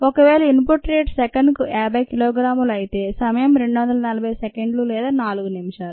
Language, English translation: Telugu, if the input rate is fifty kilogram per second, the time would be two forty seconds or four minutes